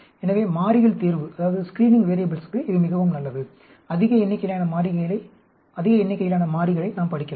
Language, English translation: Tamil, So, it is extremely good for screening variables; large number of variables, we can study